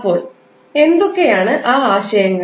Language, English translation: Malayalam, So, what are those concepts